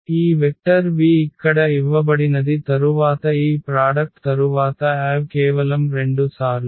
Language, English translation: Telugu, So, this vector v which is given here as is exactly this one and then the Av after this product it is just the 2 times